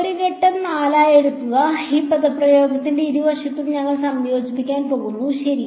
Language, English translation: Malayalam, Takes as a step 4 we are going to integrate on both sides of this expression ok